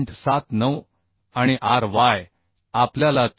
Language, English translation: Marathi, 79 and ry we found 74